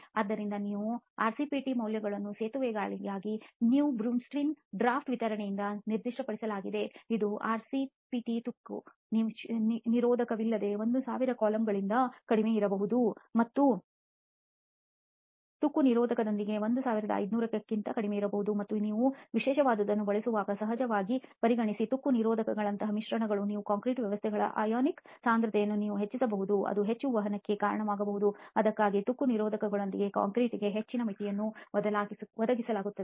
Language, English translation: Kannada, So here you have RCPT values being specified by the New Brunswick draft specification for bridges which says that RCPT should be less than 1000 columns without corrosion inhibitor and less than 1500 with corrosion inhibitor and of course taking into consideration of the fact that when you use specialized admixtures like corrosion inhibitors, you can increase the ionic concentrations of your concrete systems that may lead to more conduction that is why a higher limit is provided for concrete with corrosion inhibitors